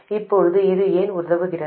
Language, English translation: Tamil, Now why does this help